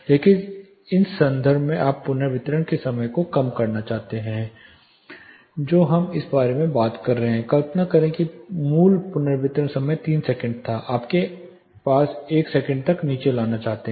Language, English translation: Hindi, So, in the context if you are wanting to reduce the reverberation time that is where we are talking about say imagine the original reverberation time was 3 seconds you want to bring it down to 1 second